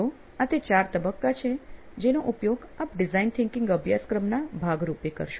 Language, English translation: Gujarati, So, these are the four stages that you will be using as part of the design thinking course